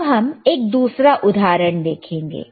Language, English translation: Hindi, Let us see another thing